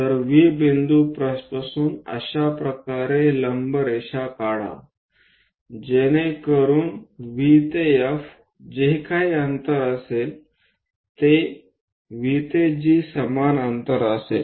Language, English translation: Marathi, So, from V point draw a perpendicular line in such a way that V to F whatever the distance, V to G also same distance, we will be having